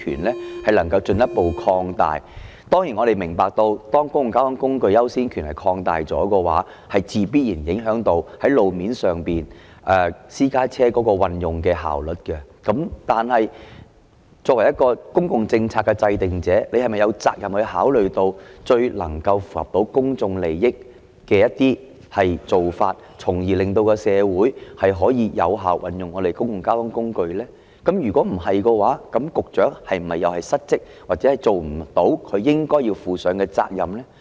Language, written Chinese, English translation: Cantonese, 我們當然明白，擴大了公共交通工具的優先權的話，必然會影響到路面上運用私家車的效率。然而，作為公共政策的制訂者，局長有責任考慮最能夠符合公眾利益的一些做法，從而令社會可以有效運用公共交通工具，否則局長就是失職，履行不到他應有的責任。, We certainly understand that giving further priority to means of public transport in the use of road space will inevitably affect the efficiency of road usage by private cars but as a public policy maker the Secretary has a responsibility to consider some practices that are in the best public interest so as to enable effective use of public transport within the community; otherwise the Secretary is remiss in fulfilling his due responsibility